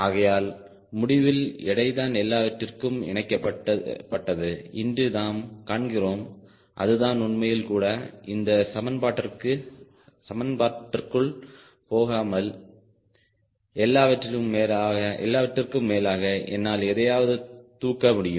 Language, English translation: Tamil, so finally, if you find weight gets linked to everything, which is ideally true also without going into all these equation, after all i am going to able to lift something